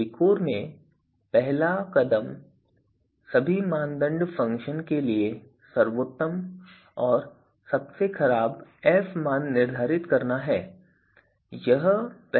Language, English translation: Hindi, So, VIKOR steps first one is that determine best and worst f values for all criteria function